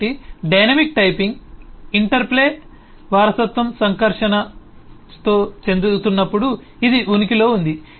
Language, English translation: Telugu, so it exist when dynamic typing interplay interact with inheritance